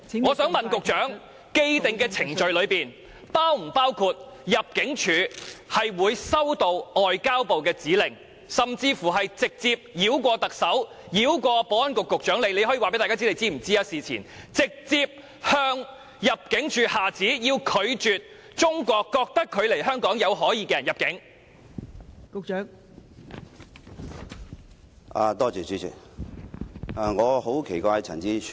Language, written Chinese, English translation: Cantonese, 我想問局長，既定程序是否包括入境處收到外交部的指令，甚至由外交部繞過特首和保安局局長——局長，你可以告訴大家你事前是否知悉此事——直接向入境處下旨，須拒絕中國政府認為來港目的有可疑的人士入境？, May I ask the Secretary whether the prevailing procedures include ImmD receiving directions from MFA or even MFA bypassing the Chief Executive and the Secretary for Security―Secretary you can tell Members whether you knew this before the incident―and directly ordering ImmD to refuse entry of any person who in the Chinese Governments view has a doubtful purpose of visit?